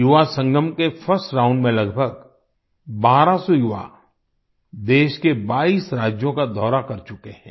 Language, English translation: Hindi, In the first round of Yuvasangam, about 1200 youths have toured 22 states of the country